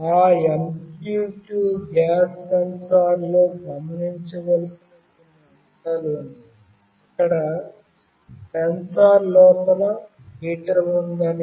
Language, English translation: Telugu, There are certain points to be noted that in that MQ2 gas sensor there is a heater inside the sensor